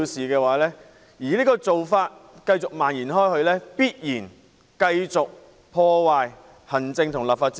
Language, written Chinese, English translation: Cantonese, 假如這種做法繼續蔓延，必然進一步破壞行政立法關係。, If such a practice is extended continuously it will inevitably bring further damage to the relationship between the executive and the legislature